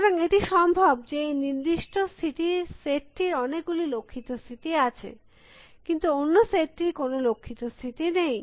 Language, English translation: Bengali, So, it is possible that, this particular set of states contains my goal state, but another set of state does not contain goal state